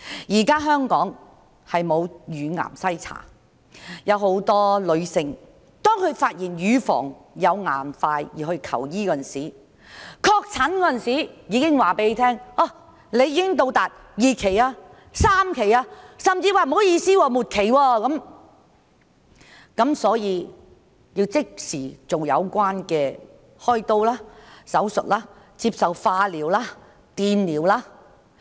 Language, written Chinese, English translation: Cantonese, 現時香港沒有乳癌篩查，有很多女性是在發現乳房有硬塊時才去求醫，到確診時已是2期或3期，甚至是末期，需要即時開刀做手術、接受化療、電療。, Many women seek medical treatment only when they find that there are lumps in their breasts . They are already in Phase 2 or Phase 3 or even in the terminal phase when they are diagnosed . They need surgery chemotherapy and electrotherapy immediately